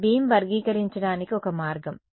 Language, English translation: Telugu, This is one way of characterizing a beam